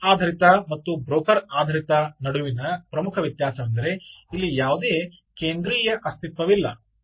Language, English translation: Kannada, so the main difference between this ah bus based and the broker based is there is no central entity